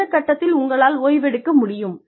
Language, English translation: Tamil, At what point, will you be able to, take a break